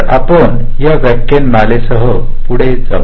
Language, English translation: Marathi, ok, so we proceed with this lecture